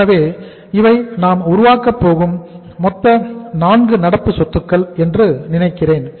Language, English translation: Tamil, So I think these are the total 4 current assets we are going to build